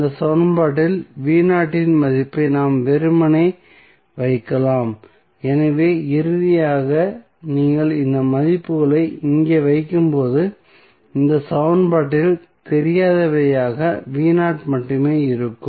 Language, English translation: Tamil, We can simply put the value of v naught in this equation so finally when you put these value here you will have only v naught as an unknown in this equation